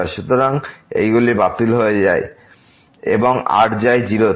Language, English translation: Bengali, So, these cancel out and goes to 0